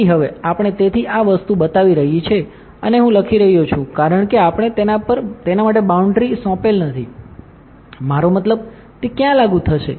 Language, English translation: Gujarati, So, now, we; so, this thing is showing and I am write, because we are not assign the boundary for it; I mean, what where it will be applied